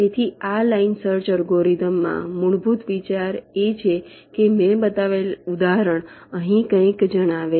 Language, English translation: Gujarati, so in this line search algorithm, the basic idea is that just the example that i have shown